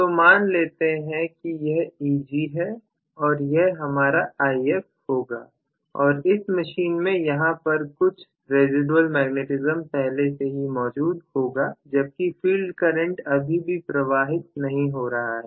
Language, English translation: Hindi, So, let us say this is going to be my Eg and this is going to be my If and there is some residual magnetism already existing in my machine even without the field current being of any magnitude